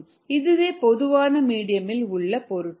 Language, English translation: Tamil, so this is what a medium in general contains